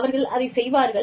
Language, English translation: Tamil, They will do